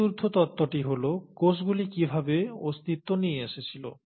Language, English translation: Bengali, Then the fourth theory is, ‘how did cells come into existence’